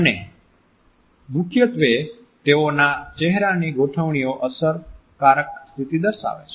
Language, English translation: Gujarati, And they are primarily facial configurations which display effective states